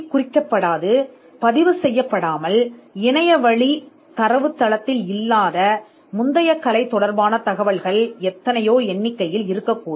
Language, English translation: Tamil, There could be n number of prior art material which are not codified or recorded or available on an online database for search